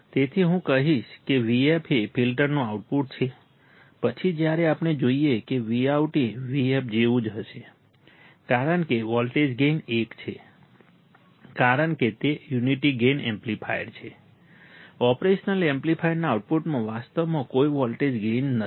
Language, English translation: Gujarati, So, I will say vf is output of filter then when we see Vout would be similar to vf because the voltage gain is 1, as it is a unity gain amplifier; there is no actually voltage gain in the output of the operation amplifier